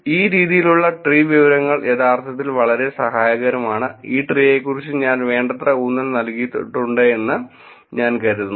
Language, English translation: Malayalam, So, this kind of tree information can be actually very helpful, I think I have emphasised enough about this tree, I’ll go through